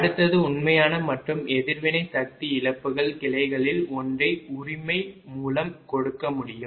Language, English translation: Tamil, next is a real and a reactive power losses in branch one can be given by right